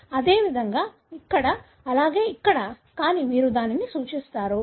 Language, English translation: Telugu, Likewise here, likewise here, but you denote that